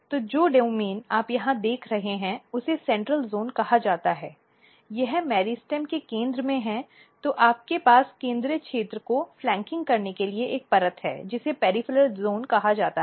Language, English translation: Hindi, So, the this domains which you look here this is called central zone, this is in the centre of the meristem then you have a layer just flanking the central region which is called peripheral zone